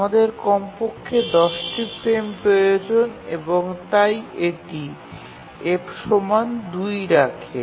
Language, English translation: Bengali, So we need at least 10 frames and therefore this just holds f equal to 2